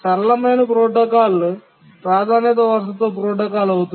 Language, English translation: Telugu, The simplest protocol was the priority inheritance protocol